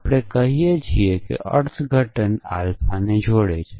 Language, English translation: Gujarati, We say that is interpretation entails alpha